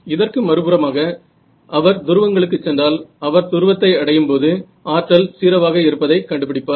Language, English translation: Tamil, On the other hand if he or she went to the poles, what would they find that when they reach the pole 0 power and maximum power on the equator right